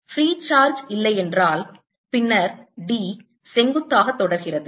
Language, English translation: Tamil, if no free charge, then d perpendicular is continues